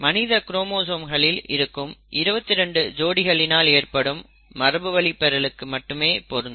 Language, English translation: Tamil, It is for the inheritance of alleles that reside on the 22 pairs of human chromosomes